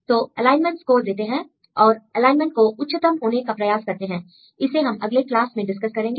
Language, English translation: Hindi, So, they give the alignment scores they try to optimize this alignment right, we will discuss in the in next class